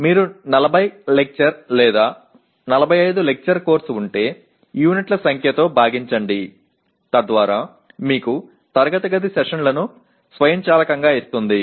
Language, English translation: Telugu, Like if you have a 40 lecture or 45 lecture course then divided by the number of units will automatically give you the classroom sessions